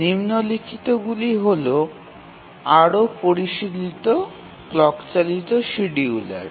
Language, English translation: Bengali, Now let's look at more sophisticated clock driven scheduler